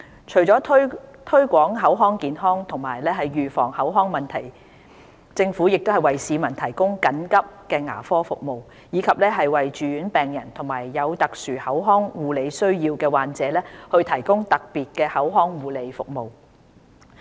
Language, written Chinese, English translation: Cantonese, 除了推廣口腔健康及預防口腔問題，政府也為市民提供緊急牙科服務，以及為住院病人和有特殊口腔護理需要的患者提供特別口腔護理服務。, Apart from making efforts to promote oral health and prevent oral problems the Government also provides emergency dental services for the public and special oral care services for inpatients and persons with special oral health care needs